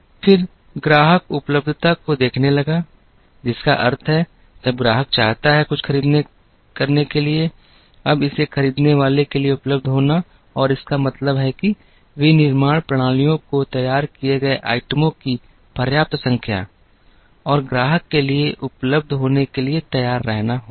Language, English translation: Hindi, Then, the customer started looking at availability which means, when the customer wants to buy something, now it has to be available for the person to buy and this means that, manufacturing systems have to be ready to have enough number of items produced and available for the customer